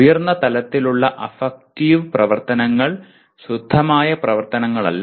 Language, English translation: Malayalam, Higher level affective activities are not pure affective activities